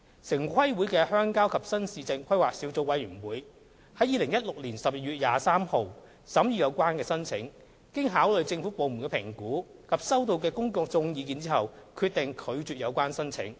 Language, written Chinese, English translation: Cantonese, 城規會的鄉郊及新市鎮規劃小組委員會於2016年12月23日審議有關申請，經考慮政府部門的評估及收到的公眾意見後，決定拒絕有關申請。, The Rural and New Town Planning Committee of TPB scrutinized the application on 23 December 2016 and determined to reject it upon consideration of the evaluation made by government departments and the public views received